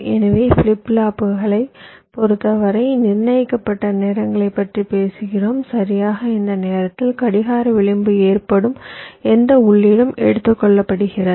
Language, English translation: Tamil, ok, so in case of flip flops, we are talking about precised times, exactly at this time where the clock edge occurs, whatever is the input